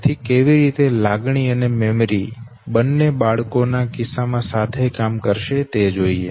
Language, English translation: Gujarati, So how emotion and memory both will work together in the case of human children